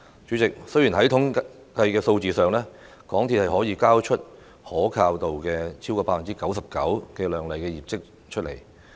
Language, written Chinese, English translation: Cantonese, 主席，在統計數字上，港鐵公司可以交出可靠度超過 99% 的亮麗業績。, President in terms of statistics MTRCL can present a brilliant performance record showcasing a reliability rate of over 99 %